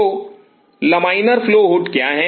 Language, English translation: Hindi, So, what is laminar flow hood